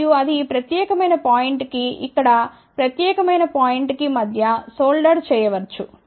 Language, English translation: Telugu, And, that can be soldered between this particular point over here, to this particular point over here ok